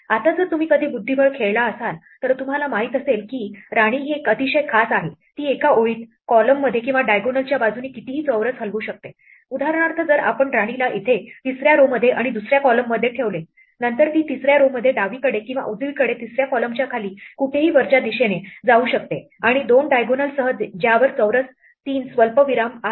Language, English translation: Marathi, Now, if you have ever played chess, you would know that the queen is a very special piece it can move any number of squares along a row, column or diagonal for instance, if we place the queen here, in the third row and the third column, then it could move anywhere upward down the third column anywhere left or right on the third row, and along the two diagonals on which the square three comma three lies